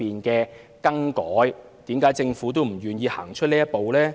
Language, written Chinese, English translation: Cantonese, 為甚麼政府仍不願意走出這一步呢？, Why then is the Government still unwilling to take this step?